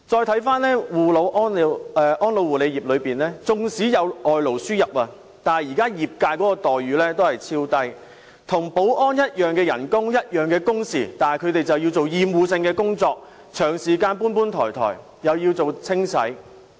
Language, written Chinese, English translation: Cantonese, 看回安老護理業，縱使有外勞輸入，但現時業界的待遇仍然極低，他們與保安員的薪酬及工時相同，但卻要做厭惡性的工作，長時間"搬搬抬抬"，亦要做清洗工作。, Coming back to the elderly care industry . Workers are imported for this industry but the remunerations of the workers are poor . Their pays and work hours are the same as those of security guards but they have to take up obnoxious duties and frequently have to move heavy objects and do cleaning